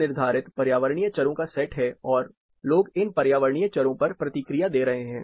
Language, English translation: Hindi, There are set of environmental variables which are preset and people are responding to these environmental variables